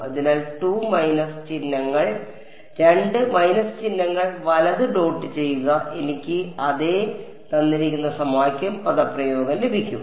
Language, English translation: Malayalam, So, dot right 2 minus signs and I get the same expression